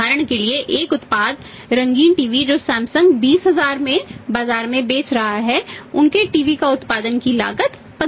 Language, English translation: Hindi, For example one product colour TV which Samsung is selling in the market for a 20000 the cost of production of their TV is a 15000